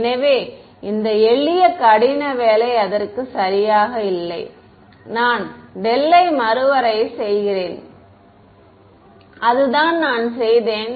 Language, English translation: Tamil, So, all this simple hard work there is not much to it right, I just redefine del that is all that I did